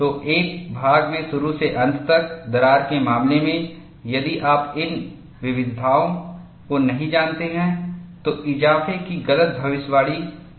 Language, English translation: Hindi, So, in the case of a part through crack, if you do not know these variations, the growth could be wrongly predicted